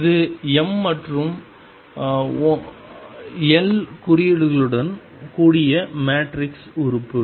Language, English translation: Tamil, This is a matrix element with m and l indices